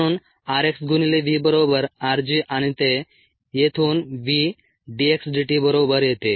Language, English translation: Marathi, therefore, r x times v equals r g and that equals v d x d t from here